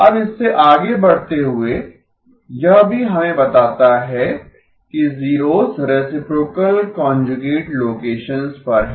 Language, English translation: Hindi, Now moving from this, this also tells us that the zeros are at reciprocal conjugate locations